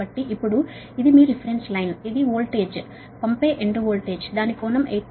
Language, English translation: Telugu, so now this is your reference line, this is the voltage, sending end voltage